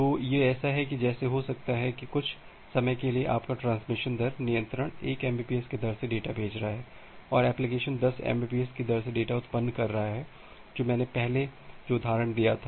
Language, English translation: Hindi, So, it is just like that it may happen that well some time your transmission rate control is sending data at a rate of 1 Mbps and application is generating data at a rate of 10 Mbps, the example that I have given earlier